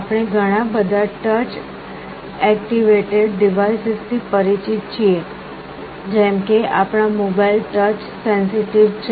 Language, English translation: Gujarati, We are all familiar with many of the touch activated devices, like our mobiles are touch sensitive